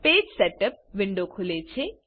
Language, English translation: Gujarati, The Page Setup window opens